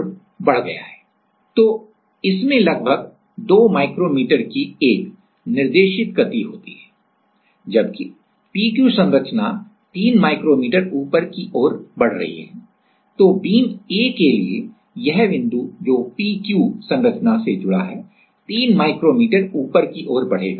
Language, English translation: Hindi, So, it has a guided movement of about 2 micrometer whereas, as the p q structure is moving upwards by P Q structure is moving upwards by 3 micrometer then the A point A for the a beam this point which is connected to the P Q structure will move upward with three micrometer